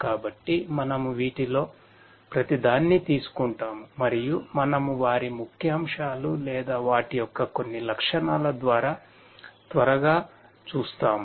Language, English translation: Telugu, So, we will take up each of these and we will just quickly we will glance through some of their highlights or the features that they have